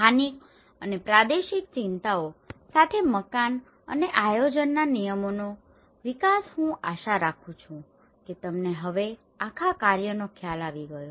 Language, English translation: Gujarati, Development of building and planning regulations with local and regional concerns, I hope you have now got an idea of the whole work